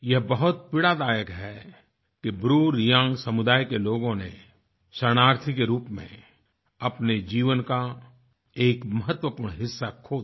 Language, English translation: Hindi, It's painful that the BruReang community lost a significant part of their life as refugees